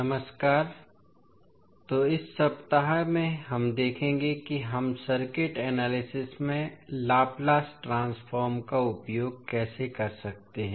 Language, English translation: Hindi, Namaskar, so in this week we will see how we can utilize the Laplace transform into circuit analysis